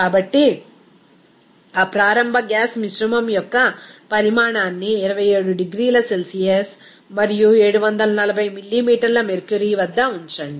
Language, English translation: Telugu, So, let that volume of that initial gas mixture at 27 degrees Celsius and 740 millimeter mercury